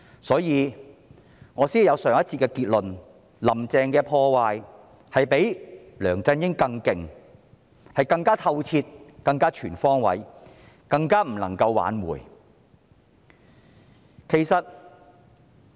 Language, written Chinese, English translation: Cantonese, 所以，我才有上一節的結論，那就是"林鄭"的破壞比梁振英更厲害，更透徹、更全方位，更加不能夠挽回。, Therefore I reached a conclusion in the last session that when compared with LEUNG Chun - ying Carrie LAM has caused far more severe thorough comprehensive and irreversible damage